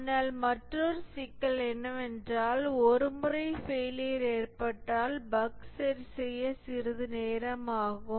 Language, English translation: Tamil, But another issue is that once a failure occurs it takes some time to fix the bug